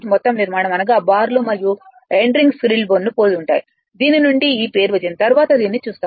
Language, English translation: Telugu, The entire construction bars and end ring your resembles squirrel cage from which the name is derived, later we will see this right